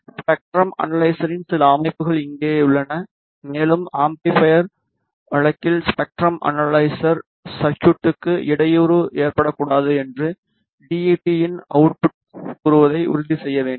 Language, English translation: Tamil, Here are some settings of the spectrum analyzer and we have to make sure that the output of the DUT let us say in case of amplifier should not hamper the spectrum analyzer circuitry